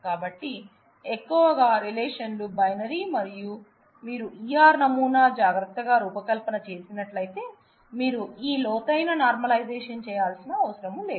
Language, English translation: Telugu, So, mostly the relationships are binary, and if you do a careful design of the ER model then many of these deep exercise of normalization you will not have to go through